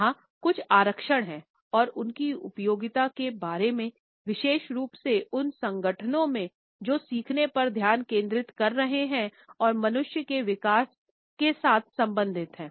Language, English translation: Hindi, There are certain reservations about its applicability particularly in those organisations, which are focused on learning and related with development of human beings